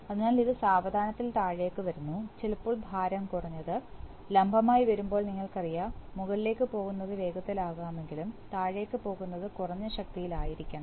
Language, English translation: Malayalam, So, it is coming down slowly, you know sometimes when you have vertical coming down etcetera underweight you want that coming going up is, can be fast but going down has to be at a low force